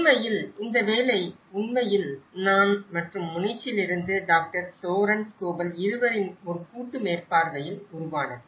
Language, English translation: Tamil, In fact, this work is actually has been supervised a joint supervision with myself and as well as Dr Soren Schobel from Tu Munich